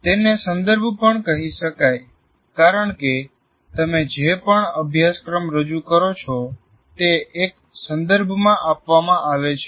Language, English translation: Gujarati, It can also be called context because any course that you offer is offered in a particular context